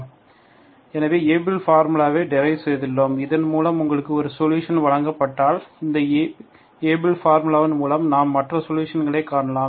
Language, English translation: Tamil, So in the process we devised Abel’s formula, we derived Abel’s formula and if you are given one solution through which, through this Abel’s formula we can find the other solution